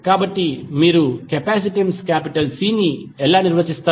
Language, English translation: Telugu, So, how you will define capacitance C